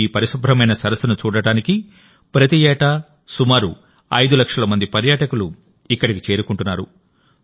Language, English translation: Telugu, Now about 5 lakh tourists reach here every year to see this very clean lake